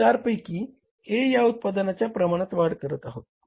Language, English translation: Marathi, We increase the volume of the production of product A out of 4